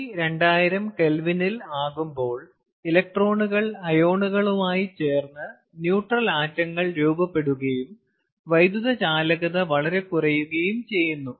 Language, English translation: Malayalam, at t, less than two thousand k, the electrons combined with the ions to form neutral atoms and the electrical conductivity becomes very low